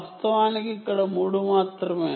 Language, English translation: Telugu, in fact, there only three